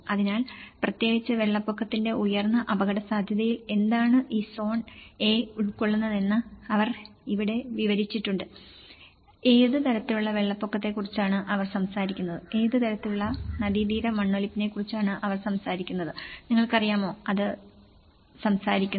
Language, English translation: Malayalam, So, here, they have even described what actually this zone A comprises of in the high vulnerability especially to floods and what kind of floods they are talking about, what kind of riverbank erosions, they are talking about and you know, it is also talking about what kind of elevations and the forest cover, so that’s how the descriptions of each zone has been given